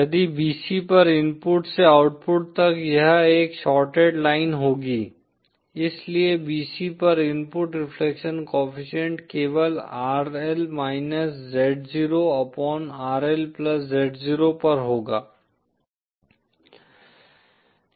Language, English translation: Hindi, If at bc from the input to the output it will be one shorted line, so the input reflection coefficient at bc will simply be rl z0 upon rl+z0